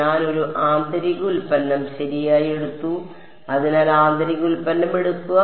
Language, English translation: Malayalam, I took a inner product right; so, take inner product